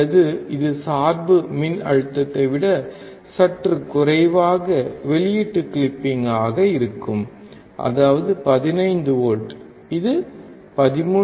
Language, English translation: Tamil, Or it will be the output clip little bit less than what the bias voltage is, that is 15 volts it will clip somewhere around 13